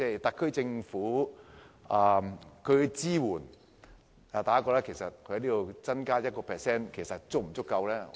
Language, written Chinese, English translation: Cantonese, 特區政府對於旅遊業的支援，大家認為只增加 1% 撥款是否足夠？, This is the SAR Governments support for the tourism industry do Members think that an additional provision of a mere 1 % sufficient?